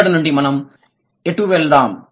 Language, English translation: Telugu, Where do we go from here